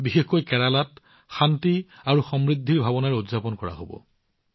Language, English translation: Assamese, Onam, especially in Kerala, will be celebrated with a sense of peace and prosperity